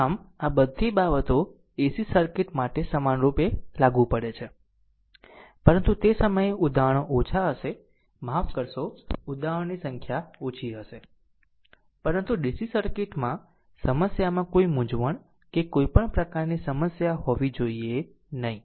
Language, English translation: Gujarati, So, all this things similarly applicable to ac circuits, but at that time examples will be small ah sorry exams number of examples will be less ah, but in dc circuit varieties of problem I am showing such that you should not have any confusion or any any sort of problem